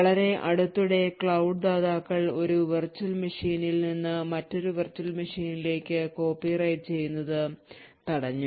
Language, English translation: Malayalam, So however, very recently cloud providers have prevented copy on write from one virtual machine to another virtual machine